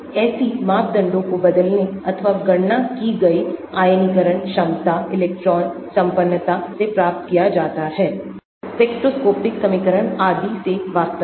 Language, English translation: Hindi, such parameters are obtained from measured or calculated ionization potentials, electron affinities, spectroscopic equations and so on actually